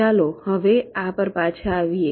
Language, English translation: Gujarati, ok, let us come back to this now